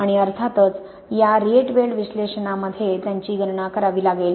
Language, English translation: Marathi, And of course these would have to be calculated in these Rietveld analysis